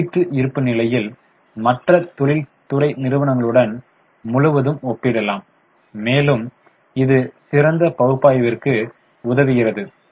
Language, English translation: Tamil, So, comparative balance sheet can be compared across industry peer and it helps us for better analysis